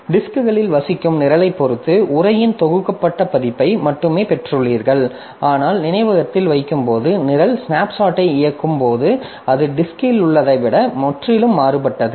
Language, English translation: Tamil, So, ultimately, so depending upon your program that resides in the disk, so you have got only the compiled version of the text, but when you put into the memory and the program is executing the snapshot if you take so that is quite different from what you have in the disk